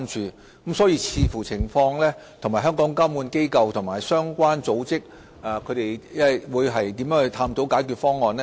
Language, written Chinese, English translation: Cantonese, 因此，我們會視乎情況，與香港的監管機構和相關組織探討解決方案。, So depending on the circumstances we will join hands with regulatory bodies in Hong Kong and the relevant organizations to explore a solution